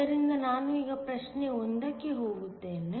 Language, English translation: Kannada, So, let me now go to problem 1